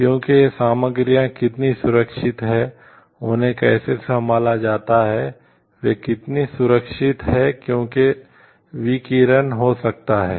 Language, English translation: Hindi, Because how these materials are protected how they are controlled how they are stored because radiations may happen